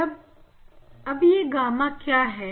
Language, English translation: Hindi, What is gamma